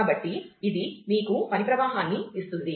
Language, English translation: Telugu, So, it gives you the work flow